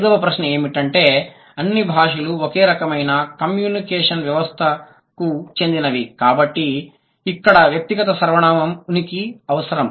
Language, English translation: Telugu, So, the fifth one is that because all languages belong to a type of communication system, right, where the presence of personal pronoun is required